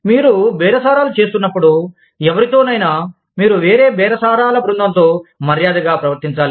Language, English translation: Telugu, When you are bargaining, with anyone, you must show courtesy, to the other bargaining team